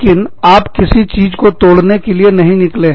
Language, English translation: Hindi, But, you are not out, to destroy anything